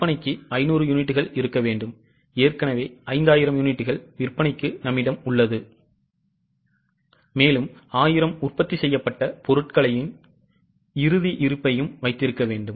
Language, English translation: Tamil, We need to have 500 units for selling, we already have, sorry, 5,000 units for sale, we already have 500 and we need to have a closing stock of 1,000 of finished goods